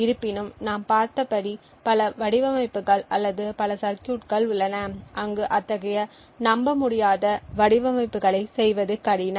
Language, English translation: Tamil, However, as we have seen there are many cases or many circuits where making such designs is incredibly difficult to do